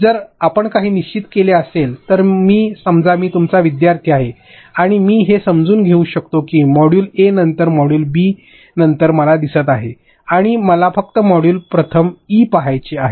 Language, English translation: Marathi, So, if you have pre decided something I am suppose I am your learner and I can understand it like if I see module a, after module b, and I just want to see module e first